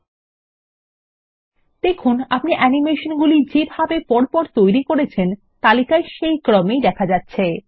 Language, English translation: Bengali, Observe that the animation in the list are in the order in which you created them